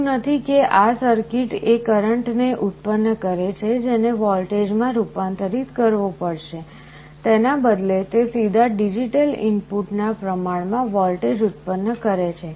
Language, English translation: Gujarati, It is not that this circuit generates a current that has to be converted to a voltage; rather it directly produces a voltage proportional to the digital input